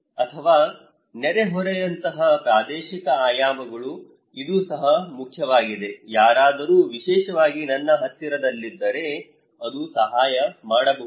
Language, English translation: Kannada, Or the spatial dimensions like neighbourhood, this is also important, if someone is at my close to me especially, it can help